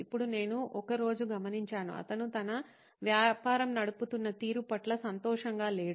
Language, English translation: Telugu, Now I one day noticed that he was not too happy with the way his business was being run